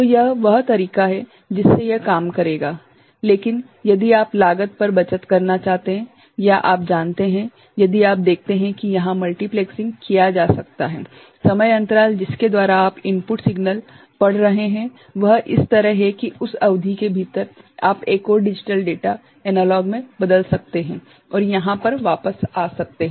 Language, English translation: Hindi, So, that is the way it will work, but if you want to save on cost or you know, if you see there is an opportunity of multiplexing ok the time intervals by which you are reading the input signal is such that within that period you can convert another digital data to analog and come back over here ok